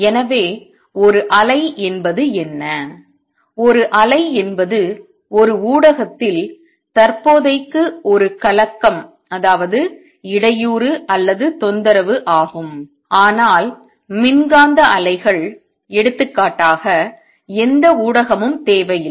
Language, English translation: Tamil, So, what a wave is; a wave is a disturbance in a media for the time being, but electromagnetic waves; for example, do not require any medium